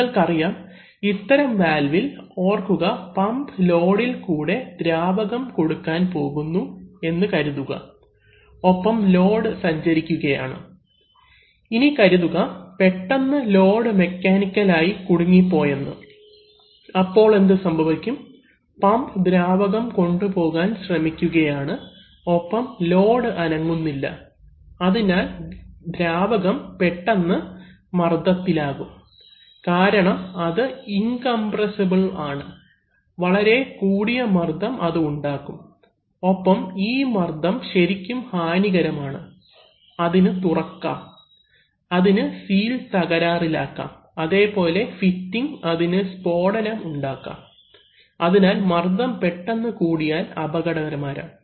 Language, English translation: Malayalam, You know in these valves, remember that suppose the pump is trying to deliver fluid through a load and the load is moving, now suppose suddenly the load gets mechanically jammed then what is going to happen, the pump is trying to drive fluid and the load is not moving so the fluid will immediately tend to get pressurized because you see, because it is incompressible very high pressure will generate and these very high pressures can actually be very detrimental, they can open, they can damage seals, fittings they can create explosions etc, so therefore pressure has also, always to be in all this equipment, if the pressure suddenly tends to be very high